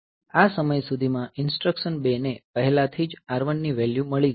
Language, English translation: Gujarati, So, by this time instruction 2 has already got the value of R 1